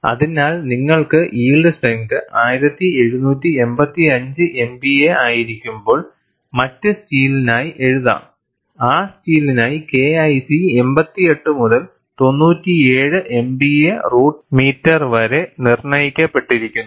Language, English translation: Malayalam, So, you could write for the other steel, when the yield strength is 1785 MPa for that steel the K 1 C is determined to be 88 to 97 MPa root meter